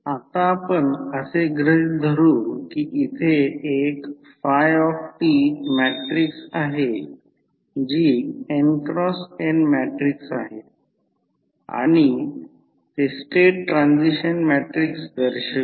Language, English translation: Marathi, Now, let us assume that there is a matrix phi t which is n cross n matrix and it represents the state transition matrix